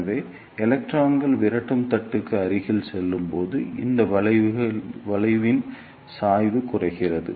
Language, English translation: Tamil, So, as the electrons move closer to the repeller plate, the slope of this curve decreases